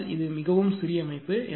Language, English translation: Tamil, But it is a very small system